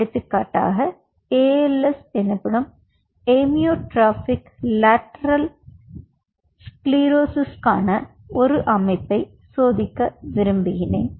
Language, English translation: Tamil, say, for example, i wanted to test a system for als amyotrophic lateral sclerosis